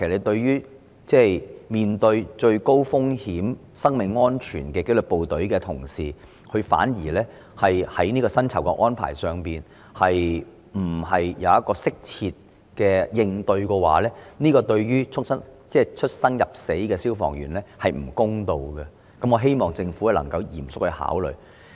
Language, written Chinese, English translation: Cantonese, 對於面對最高風險及生命安全威脅的紀律部隊同事，如果他們在薪酬安排上反而不獲適切應對，對出生入死的消防員而言並不公道，希望政府能夠嚴肅考慮。, If the disciplined services staff facing the greatest risk with their life in peril are not offered an appropriate remuneration package it is not fair to those firemen hung between life and death . I hope the Government can consider this most seriously